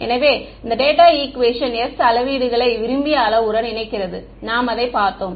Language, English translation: Tamil, So, this data equation s is connecting the measurements to the desired parameter we have seen that